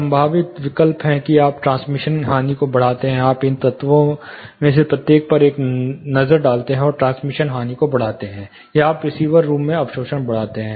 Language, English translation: Hindi, The possible options are you increase the transmission loss, you take a look at each of these elements and increase the transmission loss, or you increase the absorption in the receiver room